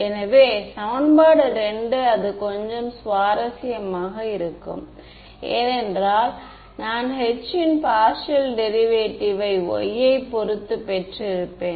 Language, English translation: Tamil, So, equation 2 is where it will become a little interesting because I have partial derivative of H with respect to y